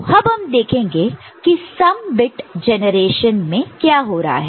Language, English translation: Hindi, And, let us see what is happening for the in the sum bit generation